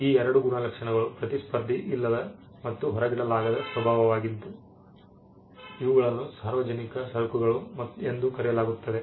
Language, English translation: Kannada, These two traits non rivalrous and non excludable nature is something that is shared by what economy is called public goods